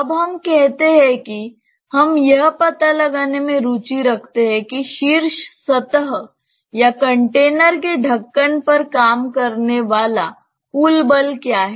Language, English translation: Hindi, Now, let us say that we are interested to find out what is the total force acting on the top surface or the lead of the container